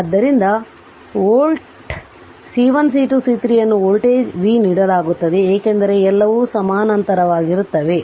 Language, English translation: Kannada, So, at volt C 1 C 2 C 3 what you call this voltage is given v because all are in parallel right